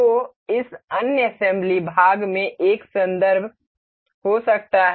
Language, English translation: Hindi, So, that this other assembly part may have a reference